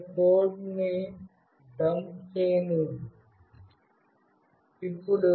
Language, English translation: Telugu, Let me dump the code